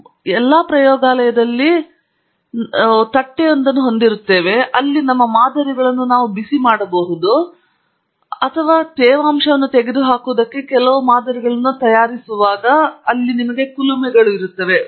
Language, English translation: Kannada, In almost all our labs, we have at least a hot plate, where we are heating our samples or maybe you have an oven where you, again, you know, bake some sample to remove moisture from it or something like that or you have furnaces